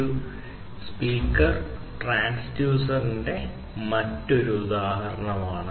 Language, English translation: Malayalam, So, a speaker is also another example of the transducer